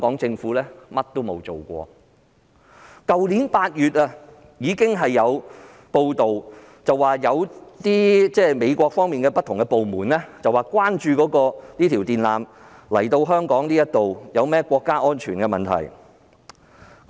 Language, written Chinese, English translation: Cantonese, 早於去年8月，已有報道指美國有不同部門關注將電纜接駁至香港所構成的國家安全問題。, As early as August last year it was already reported that various departments in the United States were concerned about the national security problems posed by the connection of a cable line to Hong Kong